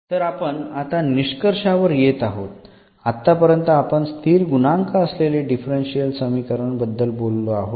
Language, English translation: Marathi, Well so coming to the conclusion here, so we have discussed about this linear differential equations with constant coefficients